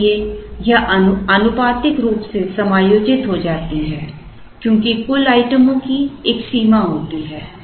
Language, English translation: Hindi, So, it gets proportionately adjusted as there is a limit on the total number of items that are there